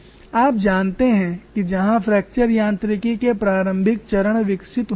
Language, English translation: Hindi, This is where initial stages of fracture mechanics developed